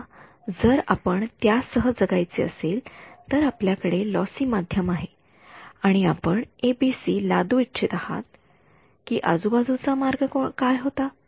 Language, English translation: Marathi, Supposing you had to live with it you had a lossy medium and you wanted to impose ABC what was the way around it